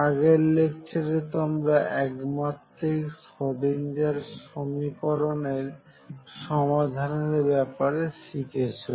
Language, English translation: Bengali, So, in the previous lecture you had learnt about Numerical Solution of one dimensional Schrodinger equation